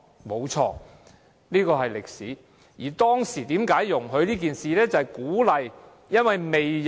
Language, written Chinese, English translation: Cantonese, 沒錯，這是歷史，而當時為何容許這樣做呢？, Yes this is history . But why were they allowed to do so back then?